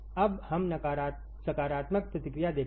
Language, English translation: Hindi, Now let us see positive feedback